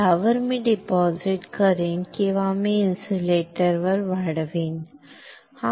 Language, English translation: Marathi, On this, I will deposit or I will grow insulator, alright